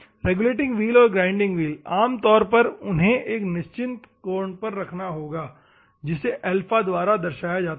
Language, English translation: Hindi, The regulating wheel and the grinding wheel ,normally they will have a certain angle that is normally represented by the alpha